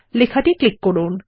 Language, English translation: Bengali, Click on the page